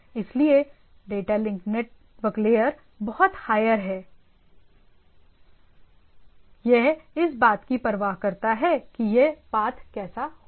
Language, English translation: Hindi, So, data link network layer is much higher, it cares about this how this path will be there